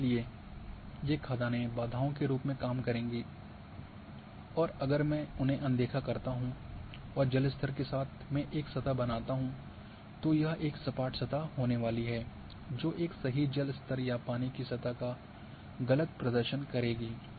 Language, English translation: Hindi, And therefore, these quasaries will serve as barriers and if I ignore them and create a surface about the water table it is going to be the smooth surface which is going to be inaccurate representation of a true water table or water surface